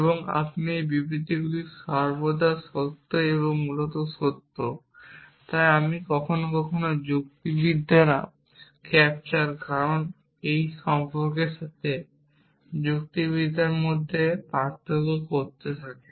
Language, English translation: Bengali, And this statements is always true essentially so which is I sometimes logicians tend to distinguish between logics with capture cause and relationship